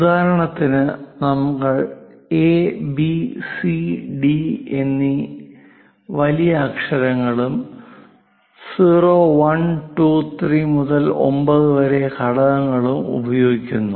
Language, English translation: Malayalam, For example, we use capital letters A, B, C, D to Z kind of things and 0, 1, 2, 3 to 9 kind of elements